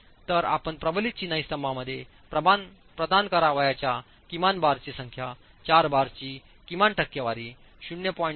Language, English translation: Marathi, So, the minimum number of bars that you should provide in a reinforced masonry column is 4 bars, minimum percentage being 0